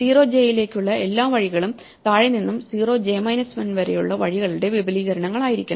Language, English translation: Malayalam, So, all the paths to (0,j) must be extensions of paths which have come from below up to (0,j 1)